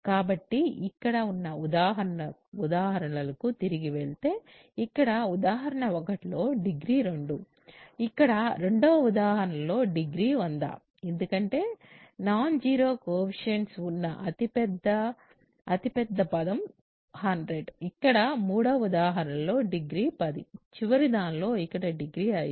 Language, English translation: Telugu, So, if we go back to the examples here degree here is 2 right, degree here is 100, because the largest coefficient largest term that has non zero coefficient is 100, here degree is 10, here degree is 5, ok